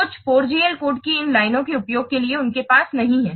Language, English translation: Hindi, Some 4GL they do not have at all the use of this line shaft code